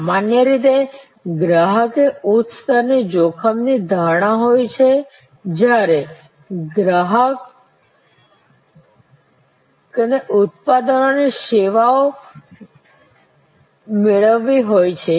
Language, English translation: Gujarati, Usually customer is a higher level of risk perception when accruing services as suppose to products